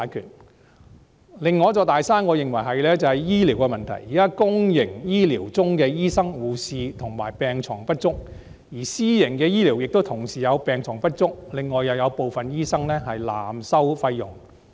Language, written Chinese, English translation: Cantonese, 我認為另一座"大山"是醫療的問題，現在公營醫療系統的醫生、護士及病床不足，而私營醫療病床亦不足，還有部分醫生濫收費用。, In my opinion another big mountain is the problem of health care . At present there is a shortage of doctors nurses and hospital beds in the public health care system . Private hospital beds are not sufficient either and some doctors even charge excessive fees